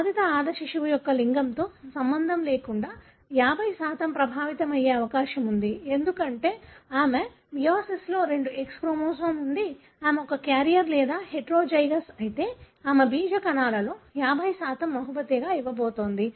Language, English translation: Telugu, The child of an affected female, regardless of its sex, has 50% chance of being affected, because she has got two X chromosome in her meiosis, she is going to gift if she is a carrier or heterozygous, 50% of her germ cells would have the affected chromosome